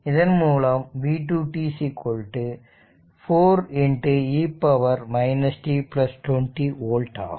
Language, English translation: Tamil, So, this is v 1 ah t v 2 t right